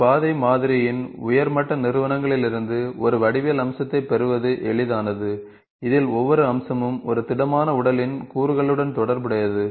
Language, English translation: Tamil, It is easy to derive a geometric feature from a higher level entities of a path model, in which each feature is associated with their component of a solid body